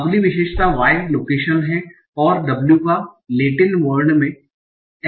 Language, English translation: Hindi, So why is location and w has an extended Latin character